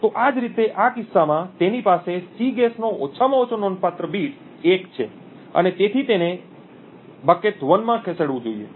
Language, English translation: Gujarati, So, in a same way in this case he has the least significant bit of Cguess to be 1 and therefore this should be moved to bucket 1